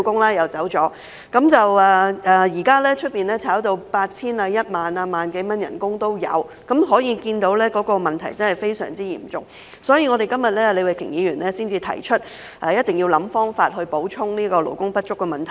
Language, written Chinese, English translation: Cantonese, 現時，聘請外傭的薪金已被炒高至 8,000 元、1萬元甚至更高，可見問題真的非常嚴重，所以李慧琼議員今天才提出，一定要設法補充勞工不足的問題。, Currently the monthly salary of FDH has been driven up to 8,000 10,000 or even higher which shows that the problem is really very serious . For this reason Ms Starry LEE proposes today that attempts must be made to replenish the shortage of such workers